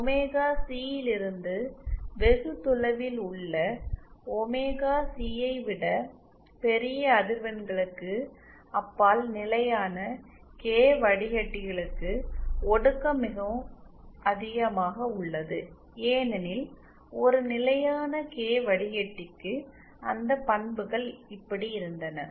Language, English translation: Tamil, On the other hand for the constant k filter beyond omega C large frequencies which are far away from omega C, there the attenuation is quite high because for a constant k filter those characteristics was like this